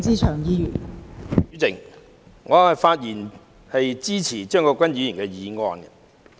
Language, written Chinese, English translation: Cantonese, 代理主席，我發言支持張國鈞議員的議案。, Deputy President I speak in support of Mr CHEUNG Kwok - kwans motion